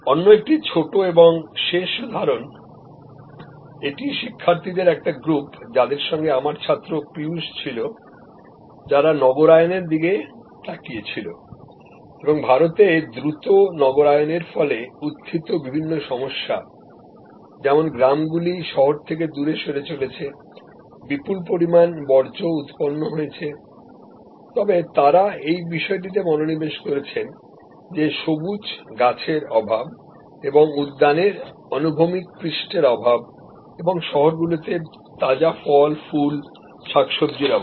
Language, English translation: Bengali, Another small example as a last one, this is a group of students recently use Piyush was one of my students there, they looked at urbanization and the many problems thrown up by rapid urbanization in India, like villages are moving away and away from cities, huge amount of waste generated, but they focused on this thing that lack of greenery and lack of horizontal surface for gardening and lack of fresh fruit, flowers, vegetables in cities